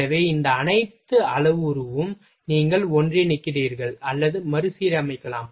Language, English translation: Tamil, So, this all parameter you just combine or rearrange you can rearrange the things